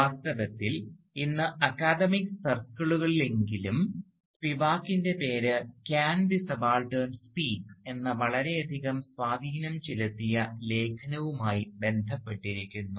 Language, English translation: Malayalam, And indeed, at least within the academic circles, Spivak’s name is today most widely associated with the highly influential essay titled "Can the Subaltern Speak